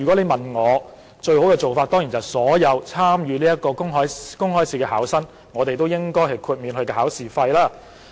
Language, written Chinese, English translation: Cantonese, 我認為，最好的做法當然是政府為所有參與這個公開試的考生代繳考試費。, In my view the best option is of course the Government pays the examination fees for all candidates sitting the public examination